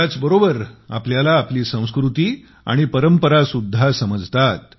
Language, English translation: Marathi, At the same time, we also come to know about our culture and traditions